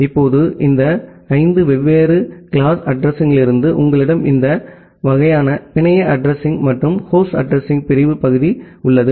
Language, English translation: Tamil, Now, for this five different classes of address, you have this kind of network address and the host address division part